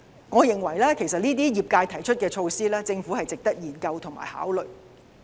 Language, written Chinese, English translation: Cantonese, 我認為業界提出的這些措施，值得政府研究和考慮。, In my opinion the proposed measures put forward by the industries are worthy of the Governments consideration